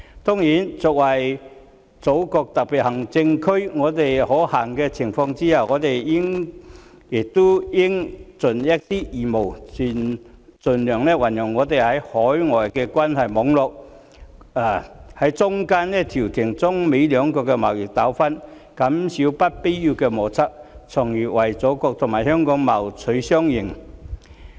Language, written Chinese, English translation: Cantonese, 當然，作為祖國的特別行政區，在可行的情況下，我們也應一盡義務，盡量運用我們在海外的關係網絡，在中間調停中美兩國的貿易糾紛，減少不必要的摩擦，從而為祖國和香港謀取雙贏。, It is necessary to properly build firewalls to prevent Hong Kong from being affected innocently by the trade war . Certainly being a special administrative region of the Motherland we should where possible fulfil our obligations by making use of our ties and networks overseas to mediate the trade disputes between China and the United States thereby reducing unnecessary frictions and hence striving for a win - win position for the Motherland and Hong Kong